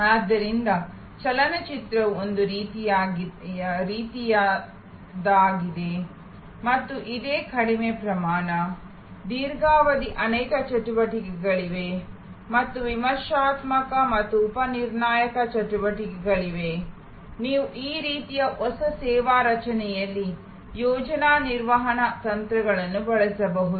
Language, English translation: Kannada, So, a movie is one of a kind and it is a low volume, long duration, there are many activities and there are critical and sub critical activities, you can use project management techniques in this kind of new service creation